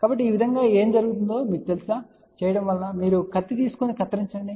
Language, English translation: Telugu, So, this way what will happen you just you know take it knife and cut it on